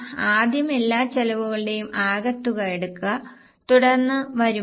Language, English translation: Malayalam, So, what we will do is firstly take the total of all expenses then income